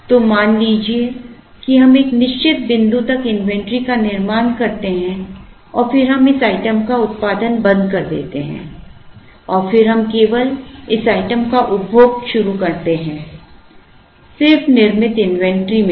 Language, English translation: Hindi, So, let us say we build up this inventory, up to a certain point and then we stop producing this item and then we start consuming this item, only from the inventory that has been built up